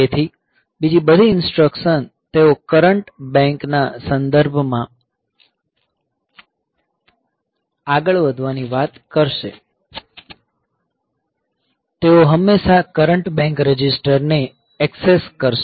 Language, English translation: Gujarati, So, all the other instructions; so, they will be talking about moving with respect to the current bank, so they will always access the current bank registers